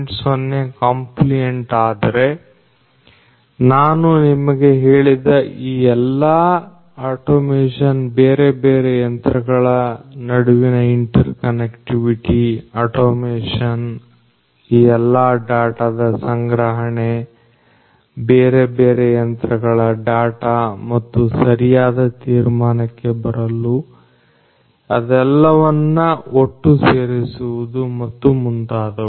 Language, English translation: Kannada, 0 compliant all of these automation that I told you the interconnectivity between the different machines the automation the collection of all these data, data from these individual different machines and putting them all together to have better inferencing and so on